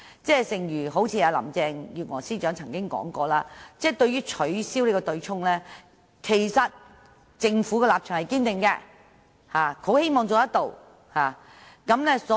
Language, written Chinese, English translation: Cantonese, 正如林鄭月娥司長說過，政府對取消對沖機制的立場是堅定的，亦很希望能夠成事。, As Chief Secretary for the Administration Carrie LAM once said the Government was firmly committed to abolishing the offsetting mechanism and it was hoped that such a goal could be achieved